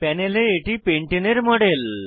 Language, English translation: Bengali, This is a model of pentane on the panel